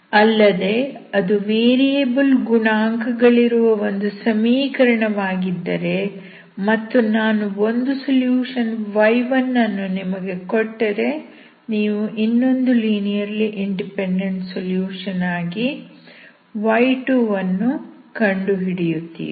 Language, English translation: Kannada, Also if it is a general equation with the variable coefficients but if I give you one solution y1, you will find the other linearly independent solution as y2 and then you can make general solution as a linear combination of this y1 and y2, okay